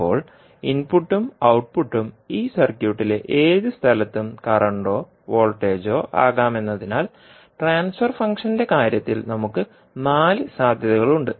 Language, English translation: Malayalam, Now, since the input and output can either current or voltage at any place in this circuit, so therefore, we can have four possibilities in case of the transfer function